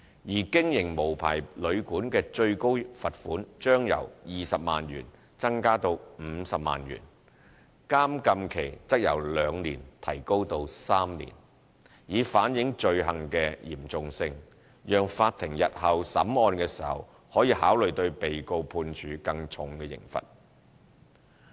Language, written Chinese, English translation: Cantonese, 而經營無牌旅館的最高罰款將由20萬元增加至50萬元，監禁期則由兩年提高至3年，以反映罪行的嚴重性，讓法庭日後審案時可考慮對被告判處更重刑罰。, The maximum penalty of the offence for operating an unlicensed hotel or guesthouse on indictment will be increased from 200,000 to 500,000 and an imprisonment term increased from two to three years to underline the seriousness of the offence so that the courts may consider passing heavier sentences on defendants in future cases